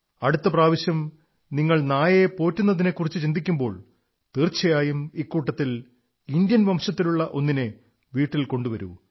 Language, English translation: Malayalam, The next time you think of raising a pet dog, consider bringing home one of these Indian breeds